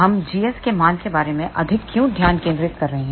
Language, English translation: Hindi, Why we focus more on g s value